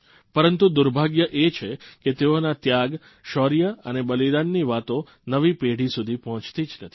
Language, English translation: Gujarati, But it's a misfortune that these tales of valour and sacrifice did not reach the new generations